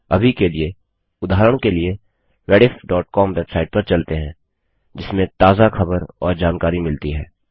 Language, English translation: Hindi, For now, as an example, let us go to Rediff.com website that has the latest news and information